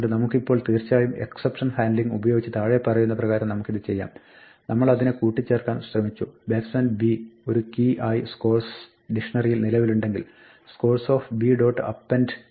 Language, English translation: Malayalam, So, this is fine, now we can actually do this using exception handling as follows; we try to append it right we assume by default that the b batsman b already exists as a key in this dictionary scores and we try scores b dot append s